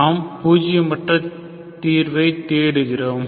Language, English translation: Tamil, So you want to get a nonzero solution here